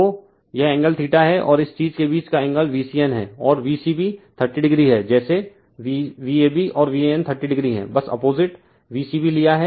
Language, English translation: Hindi, So, this is angle theta , right and angle between this thing that you are V c n and V c b is thirty degree , like your V a b and V a n is thirty degree just you have taken the opposite right V c b